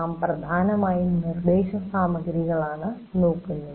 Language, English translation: Malayalam, , we mainly look at the instruction material